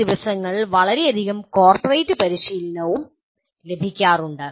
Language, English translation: Malayalam, And there is a tremendous amount of corporate training these days